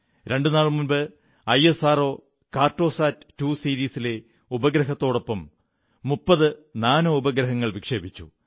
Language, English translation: Malayalam, Just two days ago, ISRO launched 30 Nano satellites with the 'Cartosat2 Series Satellite